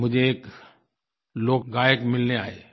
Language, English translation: Hindi, Once a folk singer came to meet me